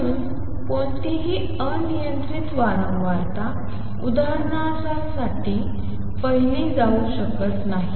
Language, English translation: Marathi, So, any arbitrary frequency cannot be seen for example